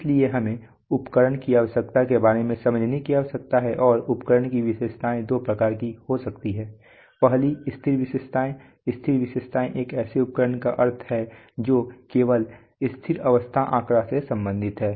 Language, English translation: Hindi, so we need to understand about instrument characteristics and instrument characteristics can be of two types, the first is the static characteristics, static characteristics implies that of an instrument that concerned only with steady state readings